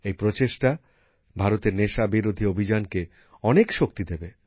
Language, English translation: Bengali, These efforts lend a lot of strength to the campaign against drugs in India